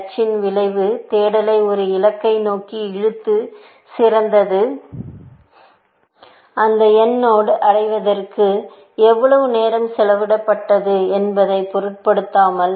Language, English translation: Tamil, The effect of h is like, best for search to pull it towards a goal, without any regard to what was the time spent in reaching that node n